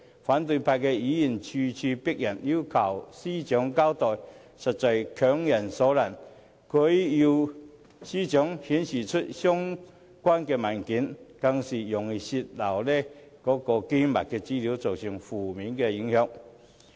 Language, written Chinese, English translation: Cantonese, 反對派議員咄咄逼人，要求司長交代，實在是強人所難，要她出示有關文件，更是容易泄漏機密資料，造成負面影響。, Opposition Members are virtually forcing the Secretary for Justice to do something against her will when they aggressively demand an explanation from her and their request for production of the relevant documents will likely give rise to disclosure of confidential information causing negative impacts